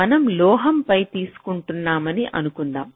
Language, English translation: Telugu, lets take suppose that we are taking it on metal